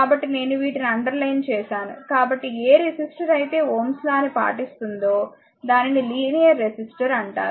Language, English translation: Telugu, So, I have underlined these one so, a resistor that obeys Ohm’s law is known as a linear register